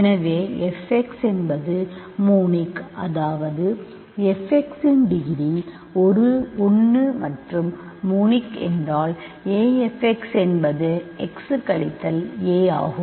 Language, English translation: Tamil, So, if f x is monic; that means, f x is degree 1 and monic means a a f x is the form x minus a, what is what are degree 1 polynomials